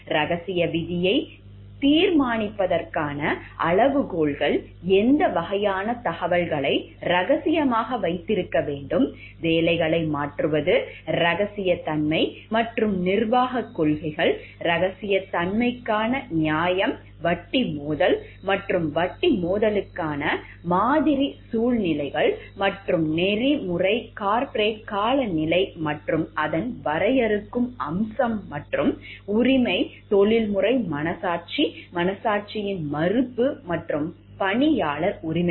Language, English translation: Tamil, The criteria for deciding the confidential clause, what types of information should be kept confidential, changing jobs, confidentiality and management policies, justification for confidentiality, conflict of interest and sample situations for conflict of interest and ethical corporate climate and its defining feature and write a professional conscience contentious refusal and employee rights